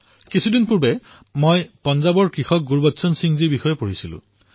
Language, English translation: Assamese, A few days ago, I was reading about a farmer brother Gurbachan Singh from Punjab